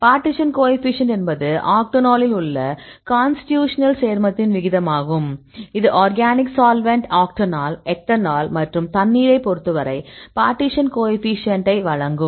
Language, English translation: Tamil, The partition coefficient is the ratio of the constitutional compound in octonol to its water; this is in the organic solvent octanol, ethanol we can use and with respect to the water; this will give you the partition coefficient